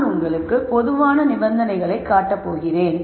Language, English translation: Tamil, What I am going to show is I am going to show you the general conditions